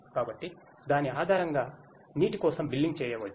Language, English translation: Telugu, So, based on that the billing for water can be done